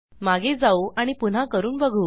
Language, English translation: Marathi, So, let me go back and try this again